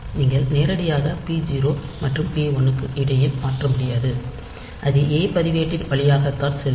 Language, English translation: Tamil, So, you cannot directly transfer between p 0 and p 1, if you do it via a register